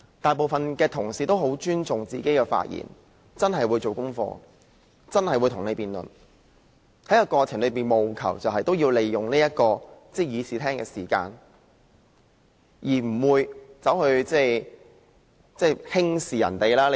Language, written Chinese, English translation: Cantonese, 大部分同事也很尊重自己的發言，真的會做足準備與大家辯論，在過程中務求善用議會的時間，而不會輕視別人。, Most Honourable colleagues have great respect for their speeches . They will really make adequate preparations for the debates with a view to optimizing the utilization of time in this Council . Moreover they will not hold others in contempt